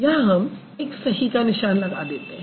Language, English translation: Hindi, So, we will put a tick over here